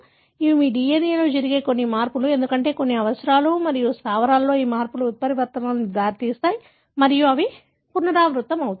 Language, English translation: Telugu, These are some changes that happen in your DNA, because of certain requirements and these changes in the bases can lead to mutations and that could be recurrent